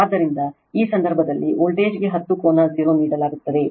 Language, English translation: Kannada, So, in this case your what you call voltage is given 10 angle 0